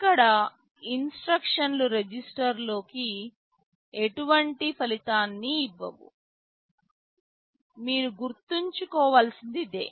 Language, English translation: Telugu, Here these instructions do not produce any result in a register; this is what you should remember